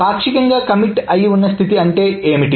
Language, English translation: Telugu, So, what is a partially committed state